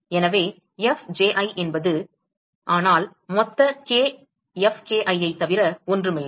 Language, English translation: Tamil, So, Fji is nothing, but sum over all k Fki